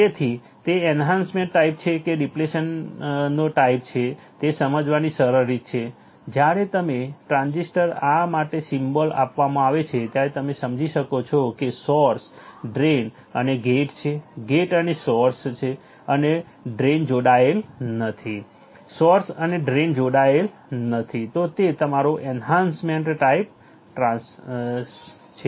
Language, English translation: Gujarati, So, easy way of understanding whether is enhancement type or depletion type is, when you are given a this symbol for the transistor then you can understand if there is a break like source drain and gates are source and drain is not connected, source and drain is not connected it is your enhancement type